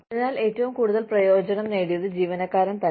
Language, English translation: Malayalam, So, the employee himself or herself, has benefited the most